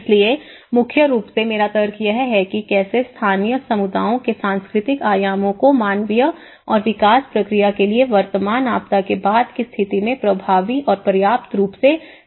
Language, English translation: Hindi, So, mainly my argument lies on how the cultural dimensions of the local communities are not effectively and sufficiently addressed in the current post disaster for humanitarian and development process